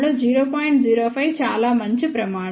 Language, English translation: Telugu, 05 is a fairly good criteria